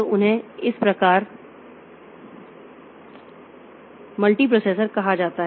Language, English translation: Hindi, Then there are two types of multiprocessors